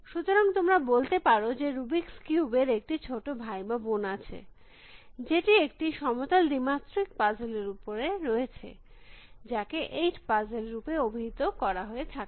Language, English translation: Bengali, So, there is you might say a younger cousin of this rubrics cubes, which is on a flat, two dimensional puzzle, which is called things like 8 puzzle